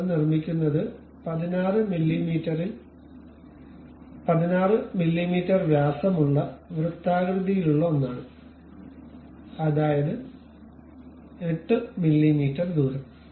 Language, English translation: Malayalam, This is a circular one of 16 mm we construct, 16 mm diameter; that means, 8 mm radius